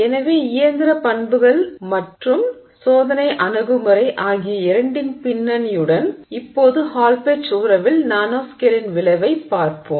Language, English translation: Tamil, So, with that background of both the mechanical properties as well as the experimental approach, now we look at the effect of the nanoscale on the Hallpage relationship